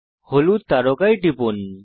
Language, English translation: Bengali, Click on the yellow star